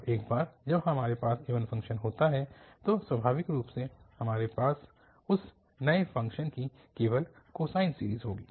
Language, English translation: Hindi, And once we have the even function, so naturally we will have only the cosine series of that new function